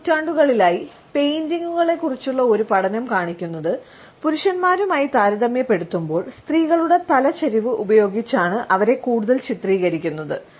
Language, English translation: Malayalam, A studies of paintings, over the last several centuries show that women are often depicted more using the head tilt in comparing to men